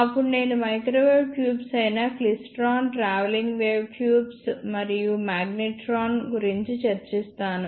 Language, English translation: Telugu, Then I will discuss microwave tubes such as klystron, travelling wave tubes and magnetrons